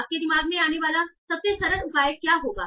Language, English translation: Hindi, So what will be the simplest measure that will come to your mind